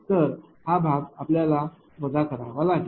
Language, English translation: Marathi, So, you have to subtract